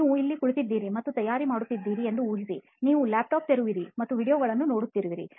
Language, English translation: Kannada, Imagine for the time being that you are actually seating and preparing, you have your laptop open and you are watching videos